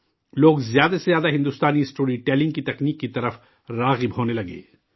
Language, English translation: Urdu, People started getting attracted towards the Indian storytelling genre, more and more